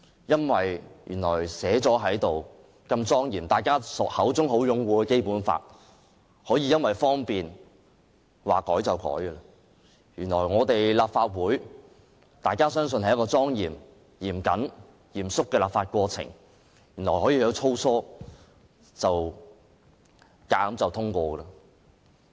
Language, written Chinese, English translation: Cantonese, 原來如此莊嚴制定，備受大家擁護的《基本法》，竟然可以因為方便而隨意修改；原來立法會內莊嚴及嚴肅的立法過程，可以很粗疏地強行通過法案。, It turns out that the Basic Law which has been solemnly enacted and upheld by us could be arbitrarily revised for convenience sake and bills could be sloppily pushed through in the course of the solemn and serious legislative process